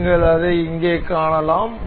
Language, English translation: Tamil, You can see here